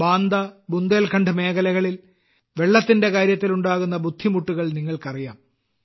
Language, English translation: Malayalam, You too know that there have always been hardships regarding water in Banda and Bundelkhand regions